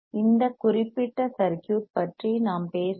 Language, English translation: Tamil, We are talking about this particular circuit